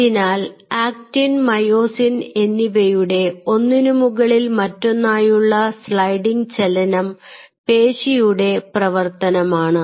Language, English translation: Malayalam, so this sliding motion of actin and myosin over one another is a function of the muscle type